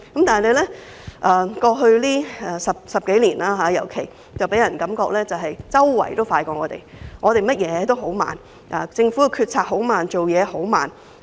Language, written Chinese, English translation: Cantonese, 但是，過去10多年，人們總覺得周邊國家或地方辦事比香港快，香港做甚麼都很慢，政府決策很慢，做事很慢。, Yet over the past decade or so all our neighbouring countries or places seem to be acting faster than we do whereas Hong Kong has become slow in everything including government decisions and actions